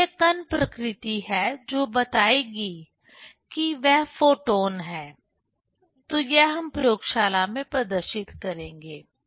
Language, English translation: Hindi, So, this particle nature that will tell, that is the photons; so, that we will demonstrate in laboratory